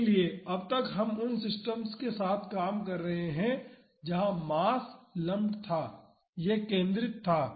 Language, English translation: Hindi, So, so far we have been dealing with systems where the mass was lumped, it was concentrated